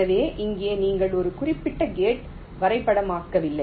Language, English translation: Tamil, so here you are not mapping of particular gate like